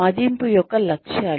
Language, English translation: Telugu, The aims of appraisal